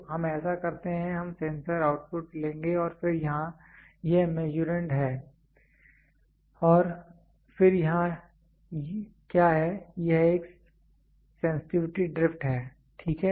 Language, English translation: Hindi, So, let us so, we will take sensor output and then here it is Measurand, and then what is here this is a sensitivity drift, ok